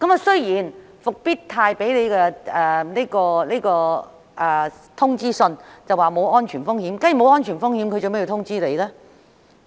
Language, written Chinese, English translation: Cantonese, 雖然復星實業在通知信中表示沒有安全風險，但假如沒有安全風險，為何要發信通知呢？, Fosun Industrial stated in its notification that there was no safety risk . But why is it necessary to issue a notification if there was no safety risk?